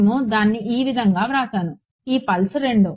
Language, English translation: Telugu, So, I wrote it like this pulse 2